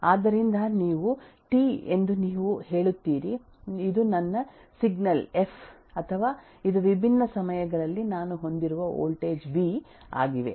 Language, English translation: Kannada, So, this is you’ll say this is T this is my signal f or this is a voltage v that I have at different times